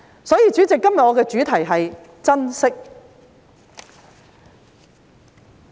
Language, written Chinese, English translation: Cantonese, 所以，主席，今天我的主題是"珍惜"。, Therefore President my theme today is cherishment